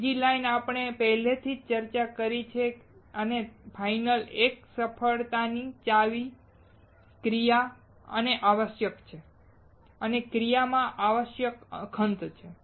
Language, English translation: Gujarati, The second line, we already discussed and the final one is the key to success is action and essential and the essential in action is perseverance